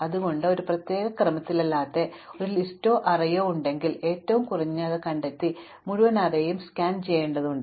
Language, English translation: Malayalam, So, this in general we have seen that if we have a list or an array which is not in any particular order, we have to find the minimum and scan the entire array